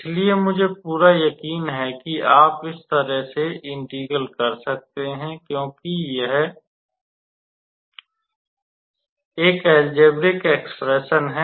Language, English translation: Hindi, So, I am pretty sure you can be able to do this integral, because it is a basically an algebraic expression